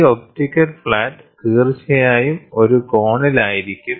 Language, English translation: Malayalam, This optical flat of course, will be at an angle